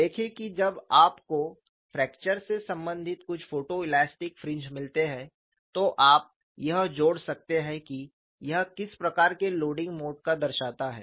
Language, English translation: Hindi, And that would be very useful, see when you come across some photo elastic fringes related to fracture, you can associate what type of mode of loading it represents